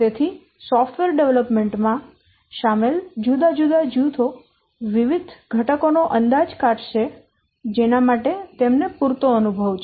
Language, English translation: Gujarati, So, different groups involved in the software development, they will estimate different components for which it has adequate experience